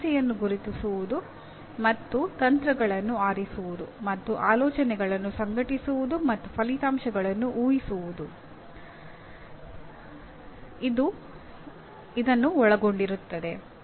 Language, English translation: Kannada, That will involve identifying the problem and choosing strategies and organizing thoughts and predicting outcomes